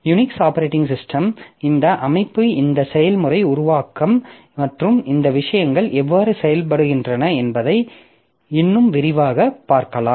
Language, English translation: Tamil, So, we'll be looking in more detail the Unix operating system, how this system, how this system, this process creation and these things work